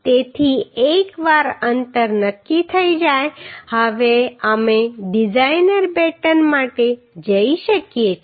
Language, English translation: Gujarati, So once spacing is decided now we can go for designer batten